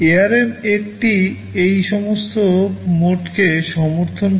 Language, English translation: Bengali, ARM supports all these modes